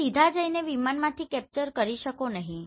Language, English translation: Gujarati, You cannot go directly and fly aircraft and you can capture this